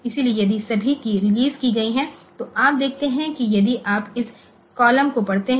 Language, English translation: Hindi, So, if all keys have been released then you see that if you if you if you read these columns